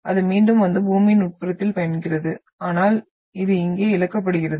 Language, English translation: Tamil, Again, it regains and travels into the interior of Earth but this is lost here